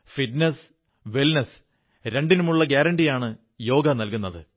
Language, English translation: Malayalam, Yoga is a guarantee of both fitness and wellness